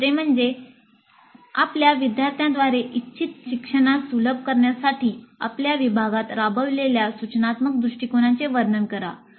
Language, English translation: Marathi, Please describe the instructional approaches implemented in your department for facilitating desired learning by your students